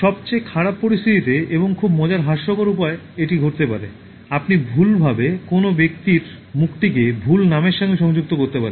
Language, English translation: Bengali, In worst situation and in a very funny humorous manner it can happen, you may wrongly associate the face of a person with the wrong name